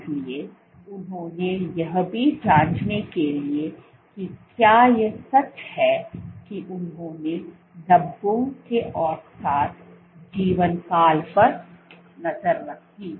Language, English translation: Hindi, So, this they also what they did to check whether this is true they tracked the average lifetime of the speckles